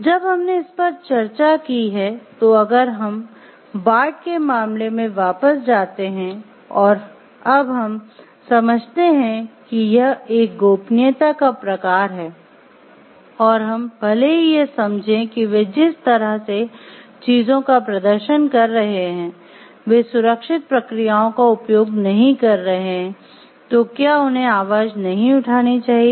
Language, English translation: Hindi, After we have discussed this, then if we go back to the case of Bart and we understand like there is a confidentiality clause, and we even if we understand like they are not using safe processes for the way the things are performing should we voice or should we not voice